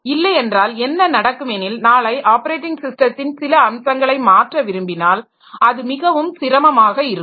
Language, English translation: Tamil, So, otherwise what will happen is that tomorrow you want to change the part, some of the features of the operating system, it becomes very difficult